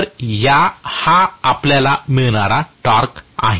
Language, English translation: Marathi, So, this is going to be the torque that we get, right